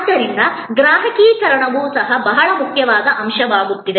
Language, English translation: Kannada, So, customization also is becoming a very important aspect